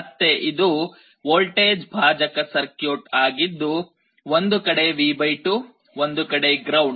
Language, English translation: Kannada, Again this is a voltage divider circuit, one side V / 2 one side ground